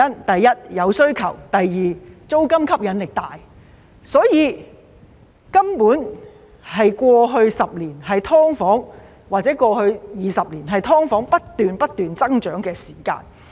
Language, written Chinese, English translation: Cantonese, 第一，有需求；第二，租金吸引力大，所以，過去10年或20年，根本是"劏房"不斷、不斷增長的時間。, Firstly there is demand for SDUs; secondly the rental income from SDUs is very attractive . Therefore the past one or two decades actually represent a period of continuous growth of SDUs